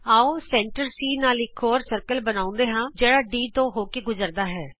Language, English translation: Punjabi, Let us construct an another circle with center C which passes through D